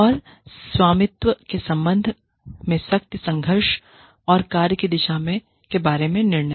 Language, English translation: Hindi, And, power struggles regarding ownership, and decisions regarding direction of work